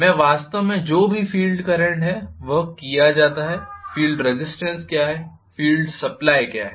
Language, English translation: Hindi, And I am going to have actually whatever is the field current that is decided by what is the field resistance and what is the field supply